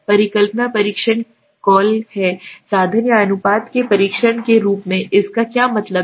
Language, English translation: Hindi, The hypothesis testing is call as a test of means or proportions, right what does it means